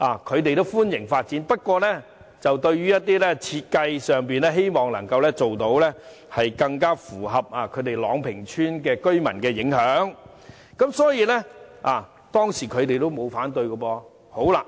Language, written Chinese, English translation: Cantonese, 他們表示歡迎發展，不過，希望設計上能更符合朗屏邨居民的要求，減少對他們的影響，所以，他們當時沒有反對。, They welcomed the housing development but hoped that the design could cater for the needs of residents in Long Ping Estate and reduce the impact on them . At that time they did not oppose the development